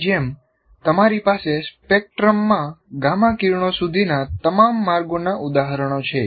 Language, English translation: Gujarati, And like that you have examples of all the way up to gamma rays